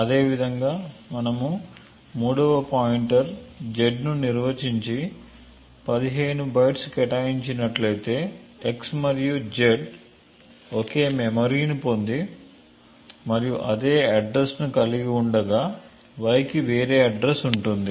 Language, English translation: Telugu, Similarly if we would have had a third pointer defined and allocated it and requested for just let us say 15 bytes again, we would see that x and z would get the same chunk of memory and would have the same address while y would have a different address